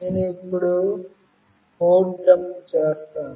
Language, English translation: Telugu, I will now dump the code